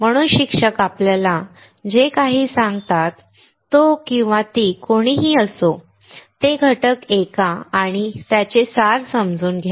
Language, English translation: Marathi, So, whatever the teacher tell us, whoever he or she is, listen those ingredients, and understand the essence